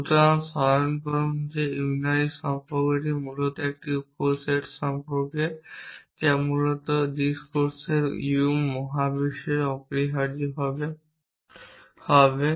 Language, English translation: Bengali, So, recall that unary relation is basically a subset relation essentially of the of the u universe of discourse essentially